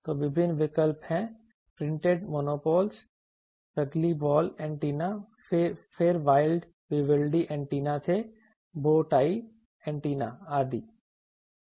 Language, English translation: Hindi, So, various options are there are printed monopoles antenna, then there were Vivaldi antennas, there were bow tie antennas etc